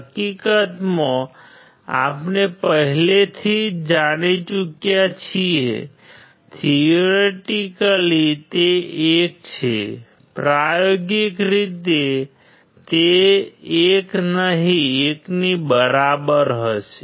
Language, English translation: Gujarati, In fact, we have already known, the theoretical it is 1; experimentally it will be close to 1 not 1 all right